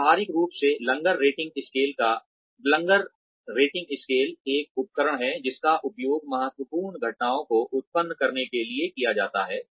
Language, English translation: Hindi, Behaviorally anchored rating scales are a tool, that is used to generate critical incidents